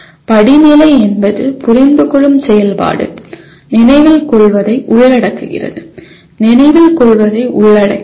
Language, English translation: Tamil, Hierarchy in the sense understand activity involves remembering, can involve remembering